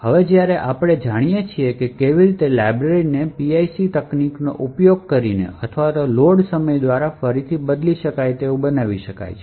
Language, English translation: Gujarati, So now that we know how a library can be made relocatable either using the PIC technique or by Load time relocatable